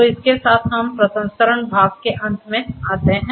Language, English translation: Hindi, So, with this we come to an end of the processing part and